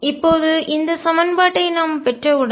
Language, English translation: Tamil, Now, once we have this equation